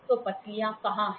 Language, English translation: Hindi, So, where are the ribs